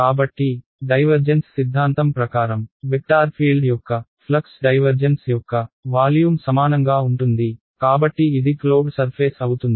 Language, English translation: Telugu, So, divergence theorem said that the flux of a vector field is equal to the divergence of I mean the volume integral of this right so closed surface this